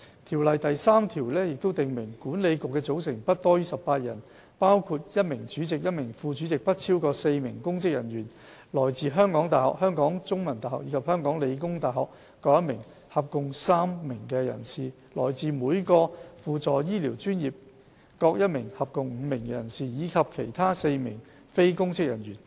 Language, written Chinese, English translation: Cantonese, 《條例》第3條訂明，管理局的組成不多於18人，包括1名主席、1名副主席、不超過4名公職人員、來自香港大學、香港中文大學及香港理工大學各1名合共3名人士、來自每個輔助醫療專業各1名合共5名人士，以及其他4名非公職人員。, Section 3 of the Ordinance provides that the Council shall consist of not more than 18 members including a Chairman a Deputy Chairman not more than four public officers three persons nominated by universities five practitioners and four other persons who are not public officers